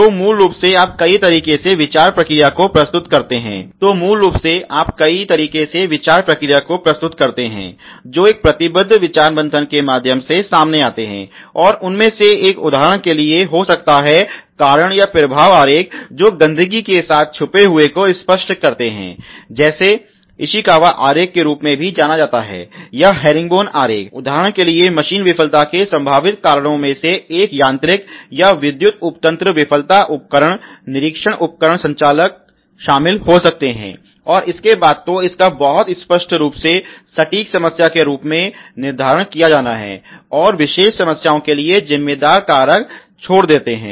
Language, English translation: Hindi, So, basically there a many ways of you know a representing the thought process, which comes out through a committed discussion brainstorming and one of them can for example, be cause and effect diagram which are illustrate a elide with litter it also known as Ishikawa diagram or herringbone diagram, then for example the potential causes of a machine failure a could involves mechanical or electrical subsystem failure tools inspection equipment operators and so forth, then this has to be very clearly laid out as the exact problem or exact problems and what is the responsible resign for the particular problems